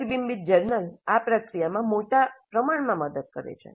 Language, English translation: Gujarati, And a reflective journal helps in this process greatly